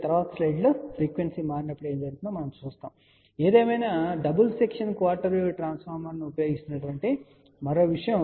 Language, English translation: Telugu, We will see that in the next slide what happens as the frequency changer ; however, let us look into one more thing here which is a using double section quarter wave transformer